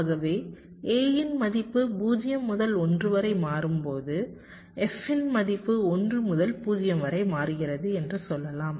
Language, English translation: Tamil, so lets say, when the value of a switches from zero to one, lets say, the value of f will be switching from one to zero